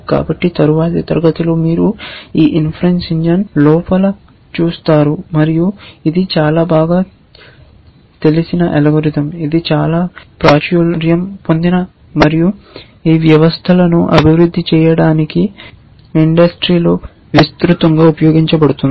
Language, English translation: Telugu, So, in the next class you will look inside this inference engine and it is a very well known algorithm which is very popular and has extensive use in the industry for developing these systems